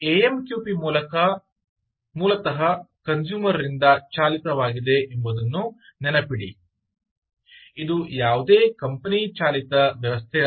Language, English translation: Kannada, all right, remember that amqp is basically customer driven, not any company driven system